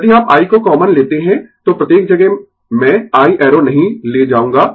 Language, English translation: Hindi, So, if you take I common, so everywhere I will not take I arrow